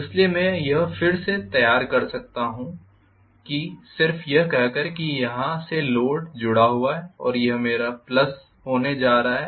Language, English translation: Hindi, So I can just redraw this saying that from here the load is connected and this is going to be my plus